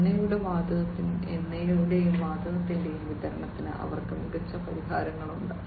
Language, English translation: Malayalam, They have smarter solutions for the supply of oil and gas